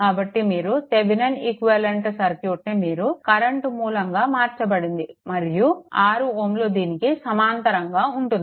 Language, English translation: Telugu, So, if you this Thevenin equivalent if it is converted to the your what you call a current source and 6 ohm will be in parallel right with this